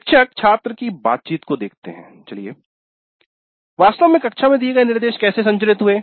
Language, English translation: Hindi, Teacher student interactions, how did the instruction take place actually in the classroom